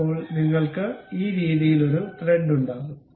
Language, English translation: Malayalam, Then, you will have a thread in this way